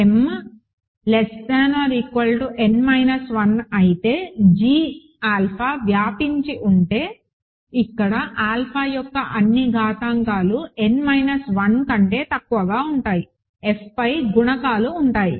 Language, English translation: Telugu, If m is less than equal to n minus 1 g alpha is spanned by that is it because all the exponents of alpha here are less than equal to n minus 1, the coefficients are over F